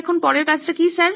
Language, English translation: Bengali, Now what is the next activity sir